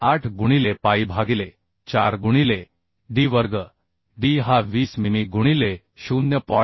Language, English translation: Marathi, 78 into pi by 4 into d square d is 20 mm into 0